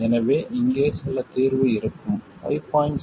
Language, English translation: Tamil, So there will be some solution here, something else for 5